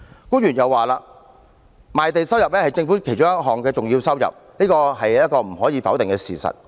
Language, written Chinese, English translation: Cantonese, 官員又說，賣地收入是政府其中一項重要收入，這是無可否認的事實。, Government officials also say that land sales revenue is a very important source of government income which is an undeniable fact